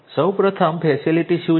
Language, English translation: Gujarati, What is facility first of all